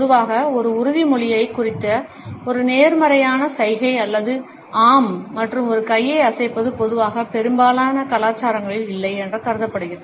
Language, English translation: Tamil, Normally, a positive gesture to signify an affirmation or yes and a shake of a hand is normally considered to be a no in most cultures right